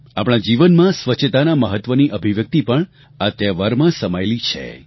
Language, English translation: Gujarati, The expression of the significance of cleanliness in our lives is intrinsic to this festival